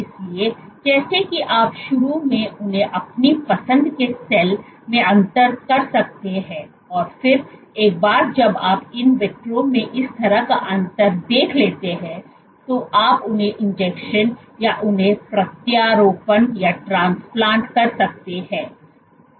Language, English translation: Hindi, So, as to initially differentiate them to the type of cell you want and then once you have observed this kind of differentiation in vitro then you can inject them inject or transplant them